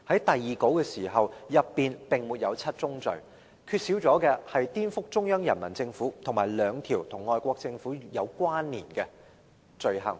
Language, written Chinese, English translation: Cantonese, 第二稿並沒有七宗罪，缺少"顛覆中央人民政府"和兩條與外國政府有關的罪行。, The second draft did not set out the seven offences nor stipulate the provision of subversion against the Central Peoples Government and two offences related to foreign governments